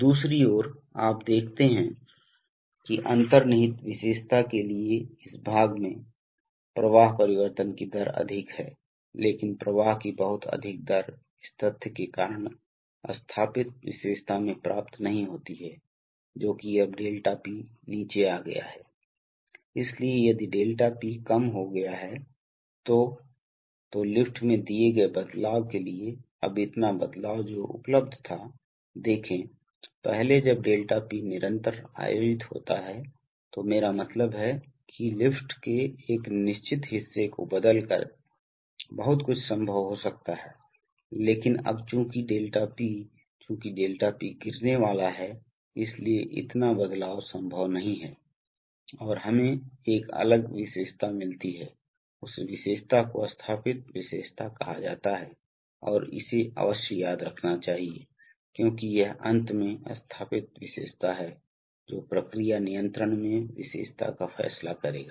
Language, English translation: Hindi, you see that in this part for the inherent characteristic, the rate of flow change is high but that much rate of flow change is not achieved in the installed characteristic because of the fact that now the 𝛿P has come down, so if the 𝛿P has come down then for a, then for a given change in the lift now so much change which was available, see previously when 𝛿P held constant I mean a lot of change could be possible by changing a certain part of the lift but now since the 𝛿P, since the 𝛿P is going to fall, so therefore so much change is not possible and we get a different characteristic, that characteristic is called the installed characteristic and this must be remembered because it is the install characteristic finally which is going to decide the, decide the characteristic in the process control